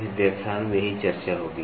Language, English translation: Hindi, This is what will be the discussion in this lecture